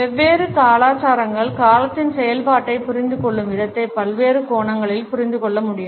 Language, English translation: Tamil, The way different cultures understand the function of time can be understood from several different angles